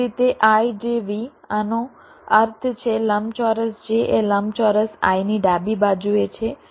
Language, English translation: Gujarati, this means rectangle j is on the left of rectangle i